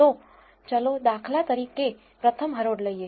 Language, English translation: Gujarati, So, let us take the first row for instance